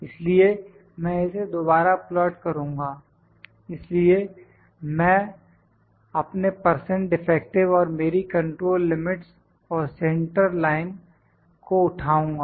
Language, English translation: Hindi, So, I will just plot it again, so I will pick my percent defective and my control limits and central line